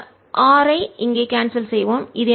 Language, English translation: Tamil, this r cancels here gives me r alone